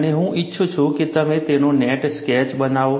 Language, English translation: Gujarati, And I would like you to make a neat sketch of it